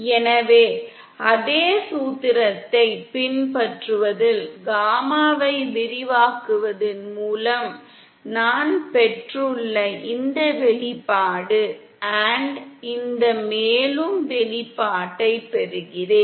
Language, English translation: Tamil, So this expression I've obtained by expanding gamma in following the same formula & I get this further expression